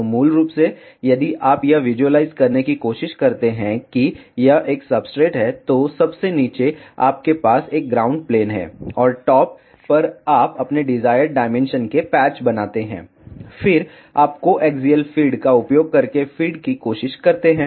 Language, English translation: Hindi, So, basically if you try to visualize this is a substrate then at the bottom you have a ground plane, and on the top you make the patch of your desired dimension, then you try to feed using co axial feed